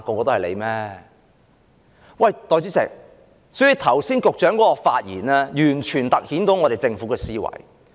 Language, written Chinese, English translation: Cantonese, 代理主席，局長剛才的發言完全凸顯了政府的思維。, Deputy President the earlier speech given by the Secretary has fully reflected the mentality of the Government